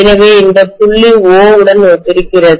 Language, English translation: Tamil, So this is corresponding to point O, okay